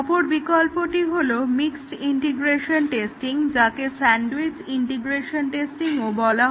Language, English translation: Bengali, The other alternative is a mixed integration testing also called as a sandwiched integration testing